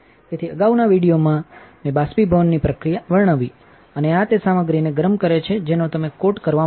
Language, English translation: Gujarati, So, in a previous video I described the evaporation process, and this entails heating up the material that you want to coat